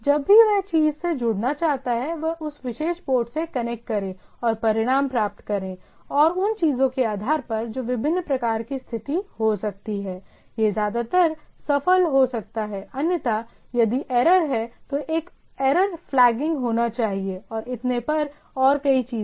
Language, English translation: Hindi, Whenever it wants to connect to the thing, connect to that particular port and get the result, and based on the things that can be different type of status right, it can be it mostly it is successful, otherwise if the error is there, so there should be a error flagging and so and so forth